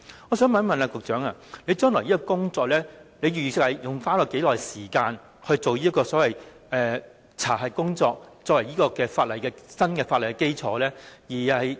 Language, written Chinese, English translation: Cantonese, 我想問局長，預算未來花多少時間進行所謂的查核工作，作為新法例的基礎？, May I ask the Secretary how much time will be spent in future on carrying out the so - called stocktaking exercise in order to provide a foundation for the review of the new legislation?